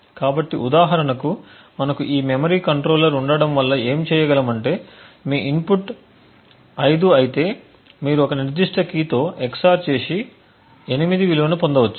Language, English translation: Telugu, So, for example if we have this memory controller what we could possibly do is if your input is 5 you EX OR it with a certain specific key and obtain a value of 8